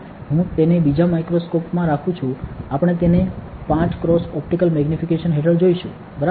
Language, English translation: Gujarati, I am keeping it another microscope; we will look at it under 5 x optical magnification, ok